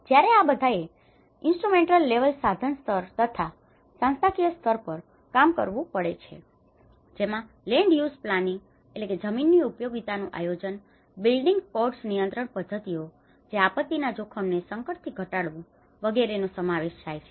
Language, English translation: Gujarati, When all these has to work in an instrumental level and also the institutional level, which can formulate land use planning, the building codes, the control mechanisms which can reduce the disaster risk from hazard